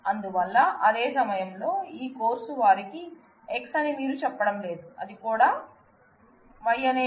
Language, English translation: Telugu, So, you are not saying that at the same time this course had them X this of course, also had name Y